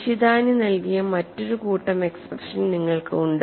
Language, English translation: Malayalam, You have another set of expressions given by Nishitani